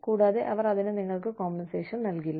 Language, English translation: Malayalam, And, they will not compensate you, for it